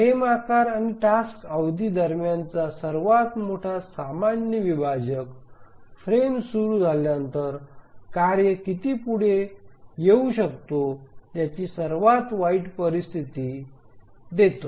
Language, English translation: Marathi, So the greatest common divisor between the frame size and the task period that gives the worst case situation of how much after the frame starts can a task arrive